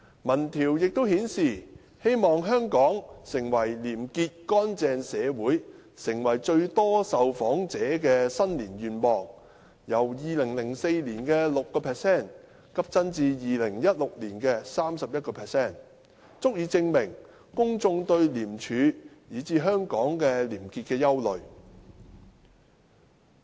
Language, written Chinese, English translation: Cantonese, 民調亦顯示，"希望香港成為廉潔乾淨社會"成為最多受訪者的新年願望，由2004年的 6% 急增至2016年的 31%， 足以證明公眾對廉署以至香港廉潔的憂慮。, Poll results also showed that wish[ing] Hong Kong to become a corruption - free society was the new year wish of most respondents with the percentage increasing drastically from 6 % in 2004 to 31 % in 2016 . This is proof of public concern about ICAC and probity in Hong Kong